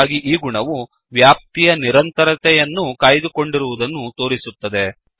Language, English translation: Kannada, So, this behavior ensures that continuity of ranges is maintained